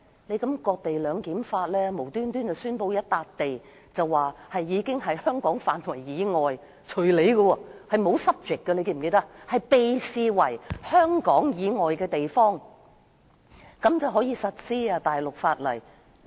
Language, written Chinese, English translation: Cantonese, 這種"割地兩檢"的做法，即突然宣布某幅土地屬於香港範圍以外，條文中並無 subject， 只說"視為處於香港以外"的地方，然後那個地方便可實施大陸法例......, to declare out of the blue that an area no longer lies within Hong Kong there is no subject in the relevant provision . All it says is that the place in question is to be regarded as an area lying outside Hong Kong and will then apply the Mainland laws